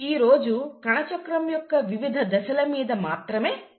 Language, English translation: Telugu, Today we’ll only focus on the various steps of cell cycle